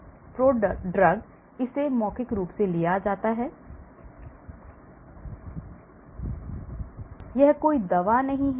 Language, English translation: Hindi, Prodrug; it is taken in orally, it is not a drug